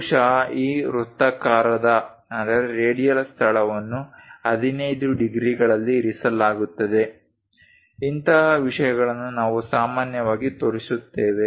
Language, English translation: Kannada, Perhaps this radial location it is placed at 15 degrees; such kind of things we usually show